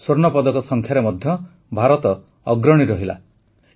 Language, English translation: Odia, India also topped the Gold Medals tally